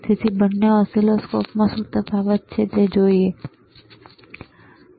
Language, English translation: Gujarati, So, both the oscilloscopes let us see what is the difference